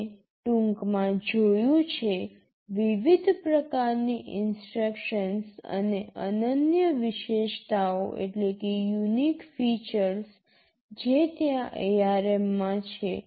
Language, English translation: Gujarati, We have seen in a nutshell, the various kinds of instructions that are there in ARM and the unique features